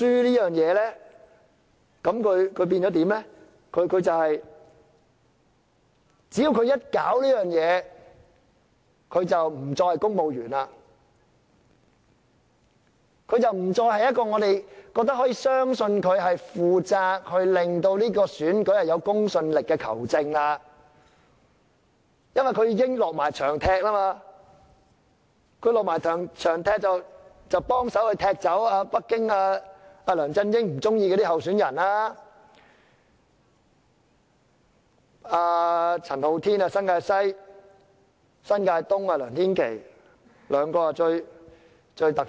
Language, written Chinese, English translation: Cantonese, 就確認書來說，只要他做了這事情，他便不再是公務員，不再是一位我們相信他是負責令這選舉有公信力的球證，因為他已經落場踢波，幫忙踢走北京和梁振英不喜歡的候選人，包括新界西的陳浩天、新界東的梁天琦，這兩人最突出。, Concerning the confirmation form once he has done this thing he is no longer a civil servant and he is no longer a referee whom we trust to be responsible for ensuring the credibility of this election . It is because he has already become a player in the football pitch helping to kick out candidates disliked by Beijing and LEUNG Chun - ying including CHAN Ho - tin of New Territories West and LEUNG Tin - kei of New Territories East both having attracted most attention